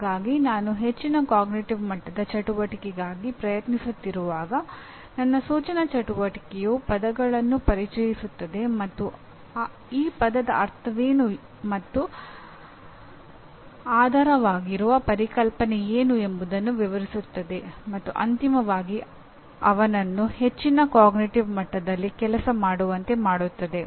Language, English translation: Kannada, So when I am trying to, a higher cognitive level activity my instructional activity will introduce the terms and explain what the term means and what the underlying concept is and finally make him do at a higher cognitive level